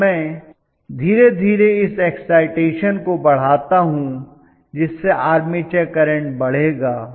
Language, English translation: Hindi, I will slowly increase it as I increase the excitation, this current will go up